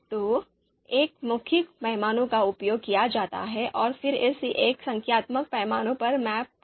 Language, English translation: Hindi, So a verbal scale is used and then it is mapped to a numeric scale